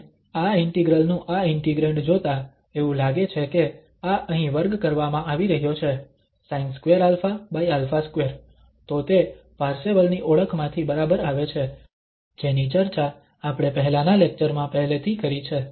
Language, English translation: Gujarati, And looking at this integrand of this integral, it seems that this is being squared here, sin alpha a or this over alpha, so that comes from exactly from the Parseval's identity which we have discussed already in the previous lecture